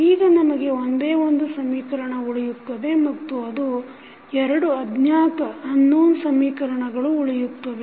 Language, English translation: Kannada, Now, we have only one equation and two unknowns, so what we can do